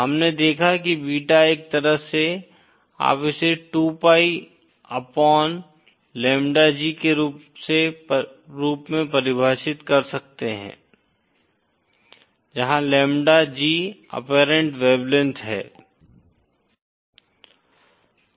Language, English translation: Hindi, Beta we saw is a kind of, you can define it as 2 pi upon lambda G where lambda G is the apparent wavelength